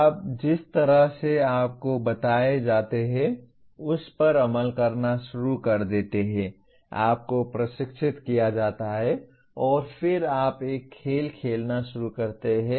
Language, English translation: Hindi, You start executing the way you are told, you are trained and then you start playing a game